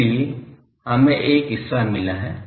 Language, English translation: Hindi, So, these we have got one part